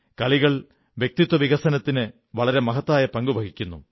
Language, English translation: Malayalam, Sports play an important role in personality development also